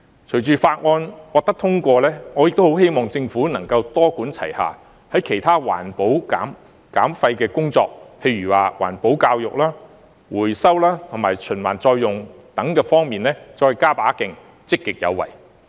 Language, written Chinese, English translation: Cantonese, 隨着《條例草案》獲得通過，我亦很希望政府能夠多管齊下，在其他環保減廢的工作上，例如環保教育、回收及循環再用等方面，再加把勁、積極有為。, If everyone is willing to take one small step we can make a giant leap in environmental protection in Hong Kong . I also hope that following the passage of the Bill the Government will adopt a multi - pronged approach with greater and more active efforts on the other work of environmental protection and waste reduction such as environmental education recovery and recycling